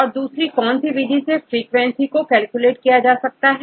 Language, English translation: Hindi, What is the other method to calculate the frequency